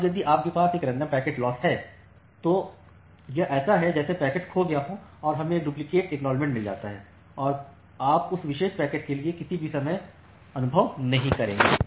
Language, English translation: Hindi, Now, if you have a random packet loss then it is just like that one of the packet will get lost and we will get a single duplicate acknowledgement or you will not experience any time out for that particular packet